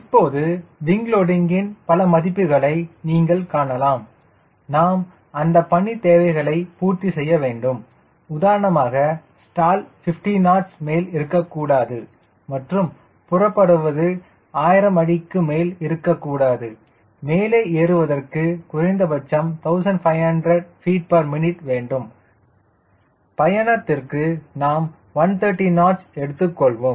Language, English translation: Tamil, now you could see that so many values of wing loading we need to have to satisfy the mission requirements, which are in terms of stall, which cannot be more than fifty knots, take off, which cannot be more than thousand feet, climb minimum fifteen hundred feet per minute, and when i do a cruise we are taking around one thirty knots cruise in speed, we max could be more than that